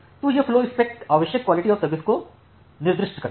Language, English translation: Hindi, So, this flowspec it specifies the desired level of quality of service